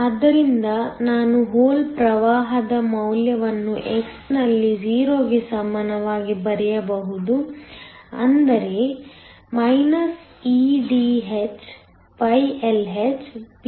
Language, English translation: Kannada, So, I can write down the value of the hole current at x equal to 0, nothing but eDhLhPn